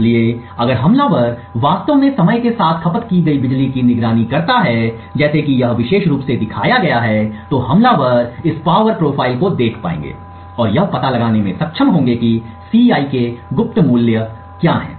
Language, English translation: Hindi, So, if attacker actually monitors this power consumed over time like this particular figure shown here, then attacker would simply be able to look at this power profile and be able to deduce what the secret values of Ci are